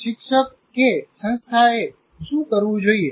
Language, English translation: Gujarati, What should the teacher or the institution do